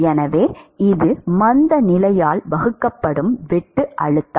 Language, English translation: Tamil, So, it is shear stress divided by inertia